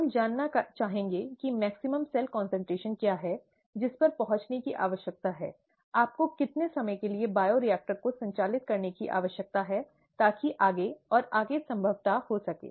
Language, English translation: Hindi, We would like to know what is the maximum cell concentration that needs to be reached, how long do you need to operate the bioreactor to reach that and so on and so forth apriori